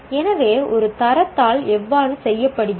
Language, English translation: Tamil, So, how is the grade sheet done